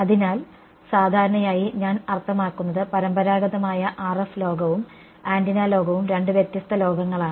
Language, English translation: Malayalam, So, normally I mean traditionally what has the RF world and the antenna world are two different worlds right